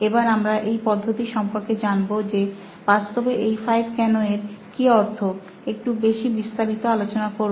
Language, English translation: Bengali, We are going to deal with this method in a little more detail as to what these 5 Whys actually means